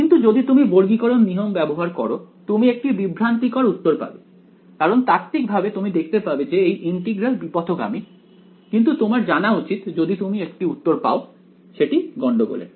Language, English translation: Bengali, But, as it is if you use a quadrature rule you will get a misleading answer because, theoretically you can see that this integral is divergent you should not you, if you get an answer you should know that it should be suspicious